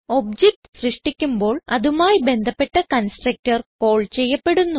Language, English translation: Malayalam, When the object is created, the respective constructor gets called